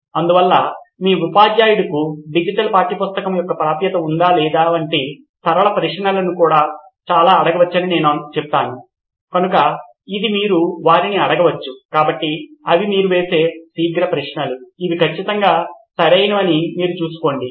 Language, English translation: Telugu, So I would say most of those can be asked as questions simple like does your teacher have access to or has a digital version of a textbook so that is something you can probably ask them, so those can be just quick questions that you see and make sure that this is right